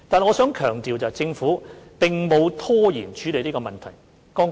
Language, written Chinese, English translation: Cantonese, 我必須強調，政府並沒有拖延處理這個問題。, I must stress that the Government has not delayed addressing the issue